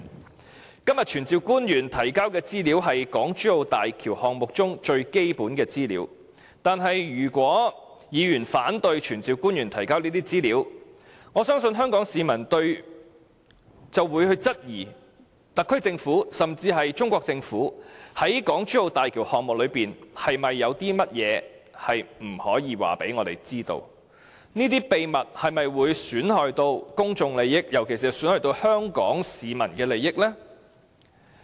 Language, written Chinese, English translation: Cantonese, 今天議案要求傳召官員提交的資料是港珠澳大橋項目中最基本的資料，但如果議員反對傳召官員提交這些資料，我相信香港市民便會質疑特區政府甚至中國政府在港珠澳大橋項目中有不可告人的秘密，這些秘密會否損害公眾利益，尤其是損害香港市民的利益呢？, The information that todays motion aims to glean from officials summoned is the most basic information on the HZMB project . If Members oppose to summoning officials to provide such information I believe Hong Kong citizens will doubt whether the HKSAR Government and even the Chinese Government have dark secrets that cannot be disclosed to the public . Will these dark secrets harm the interests of the public?